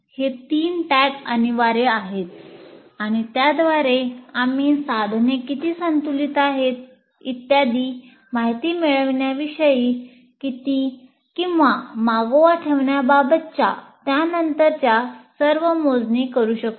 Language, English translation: Marathi, These three tags are compulsory and with that we can do all our subsequent calculation about attainments or keeping track to see the whether the how well the the instrument is balanced and so on